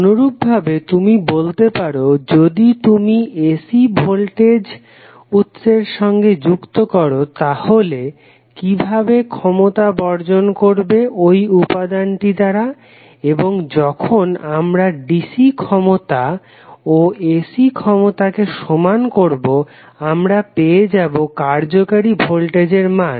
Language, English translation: Bengali, Similarly you can say that if you connect the AC voltage source then how power would be dissipated by that particular element and when we equate the power for DC and AC we get the value of effective voltage